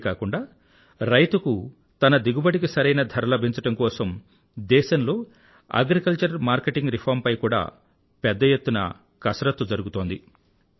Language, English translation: Telugu, Moreover, an extensive exercise on agricultural reforms is being undertaken across the country in order to ensure that our farmers get a fair price for their crop